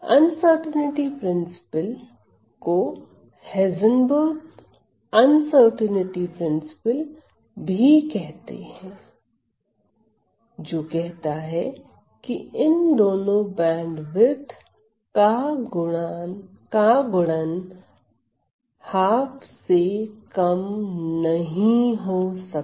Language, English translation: Hindi, The uncertainty principle says commonly known as the Heisenberg uncertainty principle it says that this times the product of these two bandwidths cannot be lower than half right